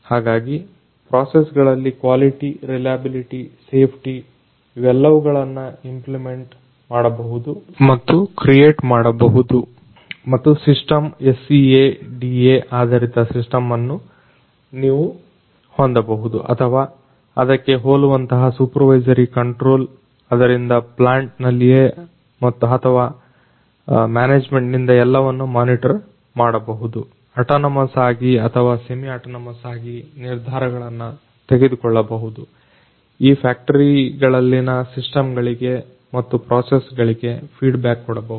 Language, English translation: Kannada, So, quality, reliability, safety, all of these could be implemented and integrated in to the processes and the and the system and you could have a SCADA based you know or something similar supervisory control where everything would be monitored either in the plant itself or by the management, and the decisions could be taken either autonomously or semi autonomously, and feed back to the systems and the processes in these factories